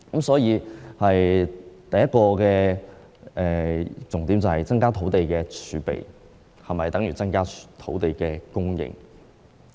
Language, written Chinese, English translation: Cantonese, 所以，第一個重點是增加土地儲備是否等於增加土地供應？, Therefore the first salient point is whether an increase in land reserves is equivalent to an increase in land supply